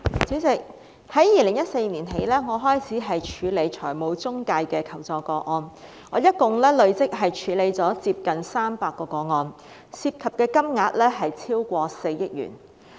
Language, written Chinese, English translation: Cantonese, 主席，我從2014年起開始處理財務中介的求助個案，累積處理了接近300宗，涉及金額超過4億元。, President since 2014 I have been handling requests for assistance regarding financial intermediaries and have handled a total of nearly 300 cases involving more than 400 million